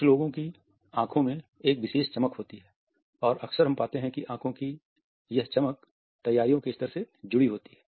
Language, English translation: Hindi, Some people have a particular sparkle in their eyes; the eyes shine and often we find that the shine or a sparkle is associated with the level of preparedness